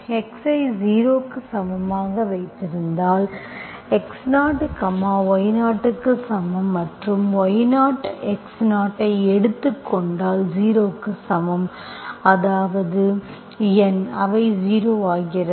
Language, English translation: Tamil, That means you are putting x is 0, if you put x is equal to 0, x 0 is equal to, if you take x0 is equal to 0, that means N, they becomes 0